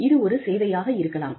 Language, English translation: Tamil, It could be a service